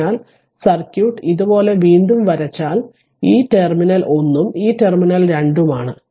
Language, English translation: Malayalam, So, if you if you redraw the circuit like this; this terminal is 1 and this terminal is 2 because this is 1, this is 2, this is1, this is 2